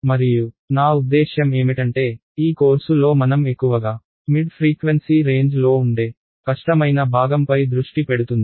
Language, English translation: Telugu, And most of I mean this course will be focused mostly on the difficult part which is mid frequency range